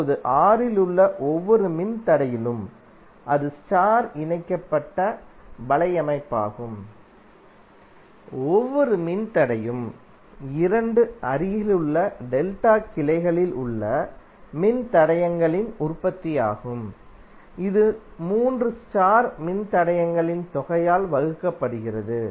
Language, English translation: Tamil, Now in each resistor in R, where that is the star connected network, the each resistor is the product of the resistors in 2 adjacent delta branches divided by some of the 3 star resistors